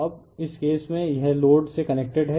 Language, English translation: Hindi, Now, in this case it is connected to the load